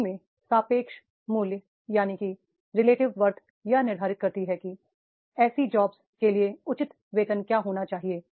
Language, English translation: Hindi, The relative worth of a job and determine what a fair wage for such a job should be